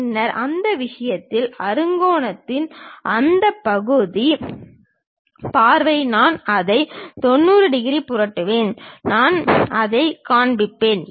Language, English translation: Tamil, Then in that case, that sectional view of hexagon I will flip it by 90 degrees, on the material I will show it